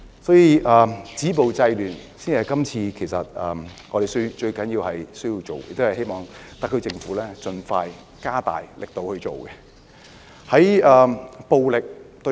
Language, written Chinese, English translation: Cantonese, 所以，止暴制亂才是特區政府現時最需要做的工作，亦希望政府盡快加大力度處理此事。, For this reason what the SAR Government needs to do most urgently now is to stop violence and curb disorder . I also hope that the Government will expeditiously step up its efforts in handling this matter